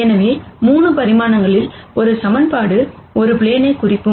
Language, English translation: Tamil, So, in 3 dimensions, one equation would represent a plane